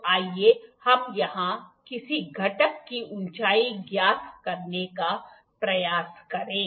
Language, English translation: Hindi, So, let us try to find height of some component here